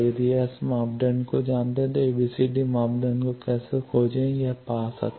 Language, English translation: Hindi, That if you know S parameter, how to find ABCD parameter you can find this